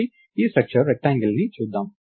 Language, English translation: Telugu, So, lets look at this struct rectangle